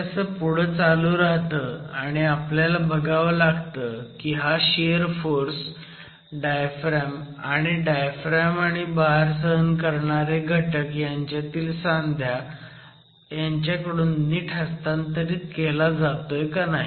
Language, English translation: Marathi, So this continues and you have to check if this shear force can now be transmitted successfully by the diaphragms and also the connections, the shear connections between the diaphragms and the components and the load assisting components